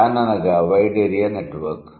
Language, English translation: Telugu, Van would be wide area network